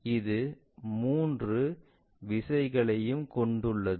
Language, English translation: Tamil, So, it is more like 3 directions